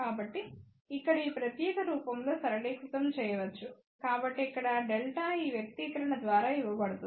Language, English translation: Telugu, So, that can be simplified in this particular form over here so where delta is given by this expression here